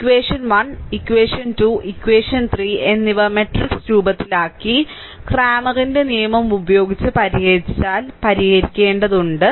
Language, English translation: Malayalam, So, equation 1; equation 1, 2 and equation 3, you have to solve, if you make it in matrix form and solve any way Clammer’s rule and anyway you want, right